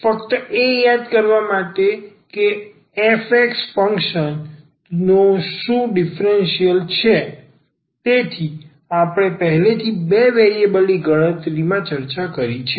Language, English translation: Gujarati, Just to recall what was the differential of the function f x; so, the differential we have discussed already in calculus of two variables